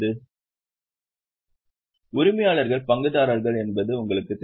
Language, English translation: Tamil, So, you know, the owners are shareholders